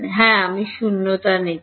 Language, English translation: Bengali, Yeah, I am taking vacuum